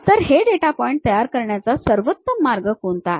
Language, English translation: Marathi, What is the best way of constructing these data points